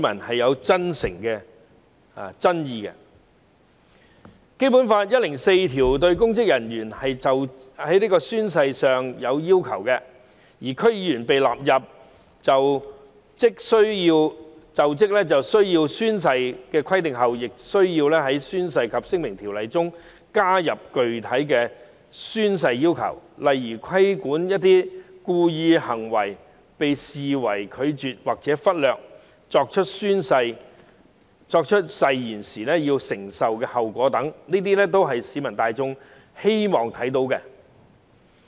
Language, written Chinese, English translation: Cantonese, 《基本法》第一百零四條訂明公務人員就職時須宣誓的要求，而在引入區議員於就職時須宣誓的規定後，《宣誓及聲明條例》亦會加入具體的宣誓要求，例如指明一些故意作出的行為會被視為拒絕或忽略作出誓言，以及須承受的後果等，這些都是市民大眾希望看到的規定。, Article 104 of the Basic Law provides for the requirements of oath - taking by public servants when assuming office . After the introduction of the requirements of oath - taking by DC members when assuming office specific oath - taking requirements will also be added to the Oaths and Declarations Ordinance . For example it will specify that some wilful acts will be regarded as declining or neglecting to take the oath and also provide for the consequences